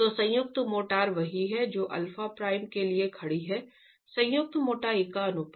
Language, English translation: Hindi, So the joint thicknesses are what alpha prime is standing for, the ratio of the joint thicknesses